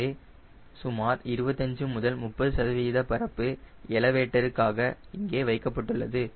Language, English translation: Tamil, so around twenty five to fifty percent area is kept for elevator right